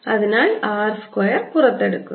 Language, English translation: Malayalam, so r square is taken out